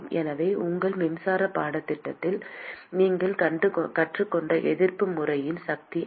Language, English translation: Tamil, So, that is the power of the resistance method that you have learnt in your electricity subject